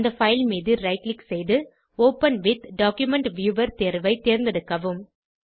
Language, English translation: Tamil, Right click on the file and choose the option Open with Document Viewer